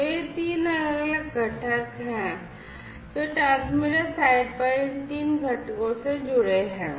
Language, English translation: Hindi, So, these are the three different components that are connected at the transmitter site these three components